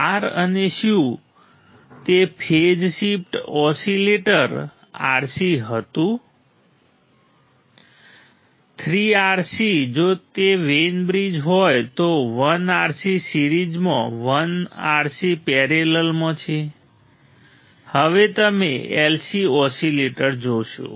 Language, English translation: Gujarati, R and C whether it was phase shift oscillator RC; 3 RC s right if it is Wein bridge 1 RC in series, 1 RC in parallel; now you will see LC oscillators